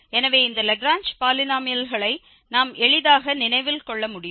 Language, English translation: Tamil, So, this is what we can easily remember this Lagrange polynomials of degree n indeed